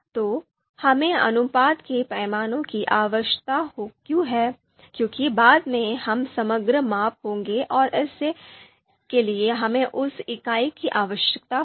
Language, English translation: Hindi, So, why we need you know ratio scales, because this is basically because later on we will be aggregating measure aggregating measurements and for that we require same unit